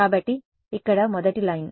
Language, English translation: Telugu, So, the first line over here is